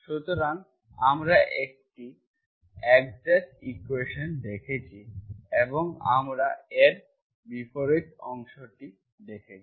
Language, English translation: Bengali, So we have seen what is the exact equation and we have seen the converse part of it